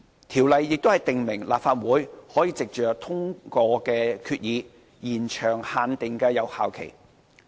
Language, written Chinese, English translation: Cantonese, 《條例》亦訂明立法會可藉通過決議，延長限定的有效期。, The Ordinance also provides that the Legislative Council may by resolution extend the period for which a limit remains in force